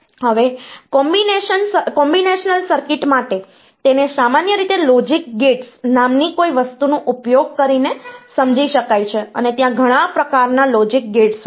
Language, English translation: Gujarati, Now for combinational circuit part, it is generally they are they are realized using something called Logic Gates and there are several types of Logic Gates that are that are there